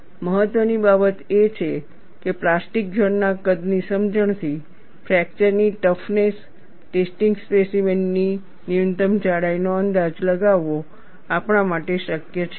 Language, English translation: Gujarati, And what is important is, from the understanding of plastic zone size, it is also possible for us, to estimate a minimum thickness of fracture toughness test specimen